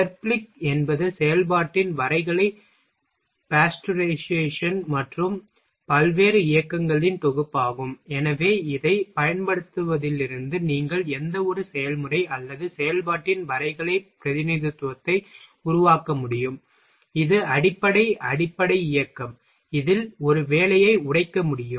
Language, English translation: Tamil, Therblig is a set of graphical pasteurization of operation and various movements, so that it from using this you can make a graphical representation of any process or operation, it basic elemental motion into which a job can be broken down ok